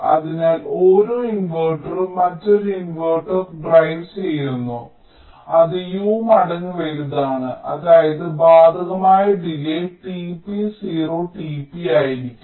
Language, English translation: Malayalam, so so each inverter is driving another inverter which is u times larger, which means the affective delay will be t p, zero t p